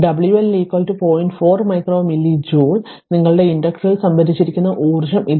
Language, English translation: Malayalam, So, this is your what you call that your energy stored in that inductor right